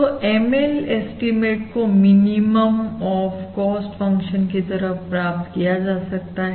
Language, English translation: Hindi, So the ML estimate basically can be found as the minimum of this cost function ML estimate